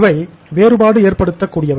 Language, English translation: Tamil, They make a difference